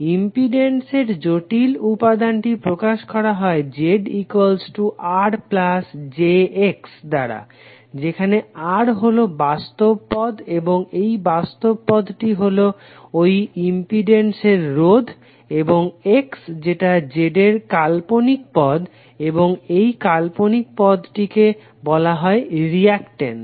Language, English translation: Bengali, The complex quantity for impedance is generally represented as Z is equal to R plus j X, where R is the real term and this real term is nothing but the resistance in the impedance term and then X which is imaginary part of Z and this imaginary part is called reactance